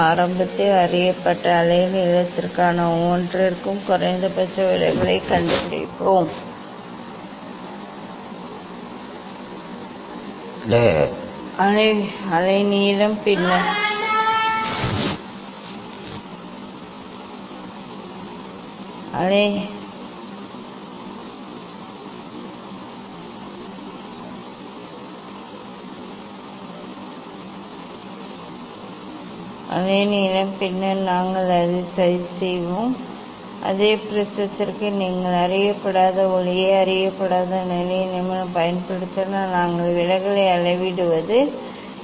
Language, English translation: Tamil, initially for known wavelength we find out the minimum deviation for each wavelength and then we will plot it Now, for same prism if you use unknown light having unknown wavelength then, we will measure the deviation